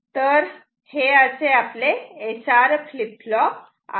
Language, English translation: Marathi, So, let me first draw the SR flip flop